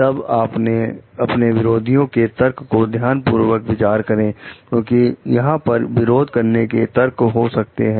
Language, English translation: Hindi, Then carefully consider counter arguments, because there could be counter arguments